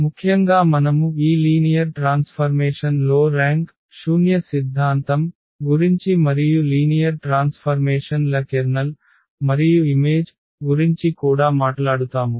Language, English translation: Telugu, And in particular we will also talk about the rank and nullity theorem for these linear transformations and also the kernel and image of linear transformations